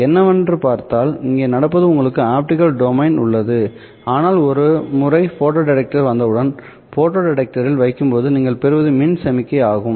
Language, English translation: Tamil, If you look at what is happening, here you have an optical domain, but once you put in a photo detector, once you put in a photo detector what you get is an electrical signal